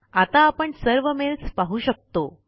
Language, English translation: Marathi, We can view all the mails now